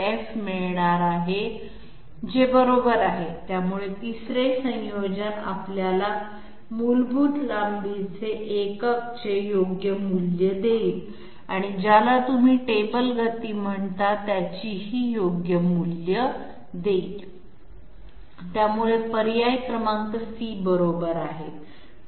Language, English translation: Marathi, 02 into F, which is also correct, so the 3rd combination will give us the correct values of basic length unit and what you call it table speed, so option number C is correct